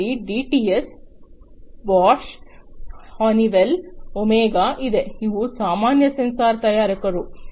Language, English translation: Kannada, You have the DTS, Bosch, Honeywell, OMEGA, these are some of the common sensor manufacturers